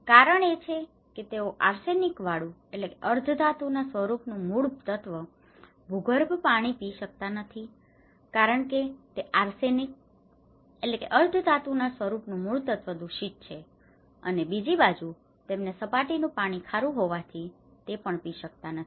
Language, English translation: Gujarati, The reason is that they cannot drink arsenic water, groundwater because it is arsenic contaminated, on the other hand, they have a problem of water salinity that is surface water they cannot drink